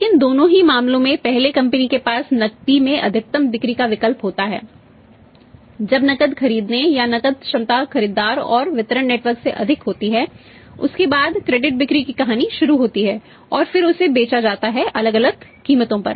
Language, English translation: Hindi, But in both the cases first the company's option in sell maximum of the cash after that now when the cash buying on the cash capacity is over of the buyer and the distribution network then after that the story of the credit sale begins and then that is sold at the varying prices